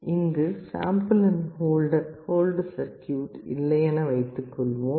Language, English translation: Tamil, Here you may assume that there is no sample and hold circuit